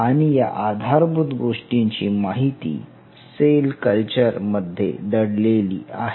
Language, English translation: Marathi, You have to understand the basic fundamentals still lies in the cell culture